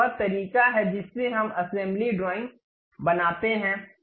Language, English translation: Hindi, This is the way we create that assembly drawing